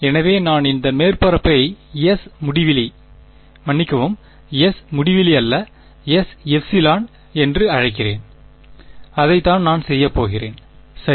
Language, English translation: Tamil, So, I will call this surface to be S infinity sorry, not S infinity S epsilon that is what I am going to do ok